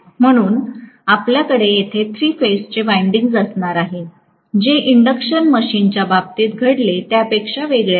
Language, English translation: Marathi, So, you are going to have the three phase winding here, unlike what happened in the case of an induction machine